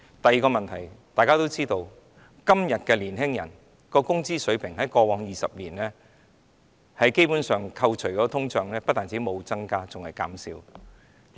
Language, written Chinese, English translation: Cantonese, 第二個問題，大家都知道在過去20年，年青人的工資水平在扣除通脹後，基本上不但沒有增加，反而減少了。, Coming to the second problem we all know that in the last 20 years the wage level of young people has not increased but has decreased after deducting inflation